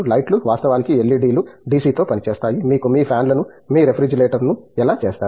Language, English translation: Telugu, Lights, of course, LED's work on DC; How do you make your fans, your refrigeration